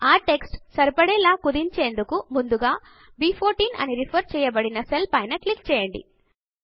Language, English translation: Telugu, In order to shrink the text so that it fits, click on the cell referenced as B14 first